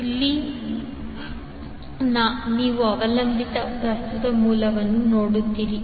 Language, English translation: Kannada, Where, you see the dependant current source